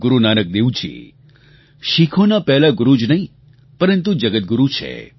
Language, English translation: Gujarati, Guru Nanak Dev ji is not only the first guru of Sikhs; he's guru to the entire world